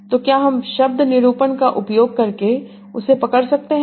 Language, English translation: Hindi, So, can I capture that using word differentiation